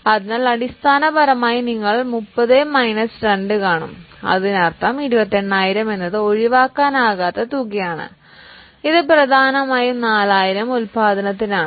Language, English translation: Malayalam, So, basically you will see that 30 minus 2, that means 28,000 is a depreciable amount which is mainly for a production of 4,000